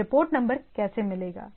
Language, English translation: Hindi, How do I get the port number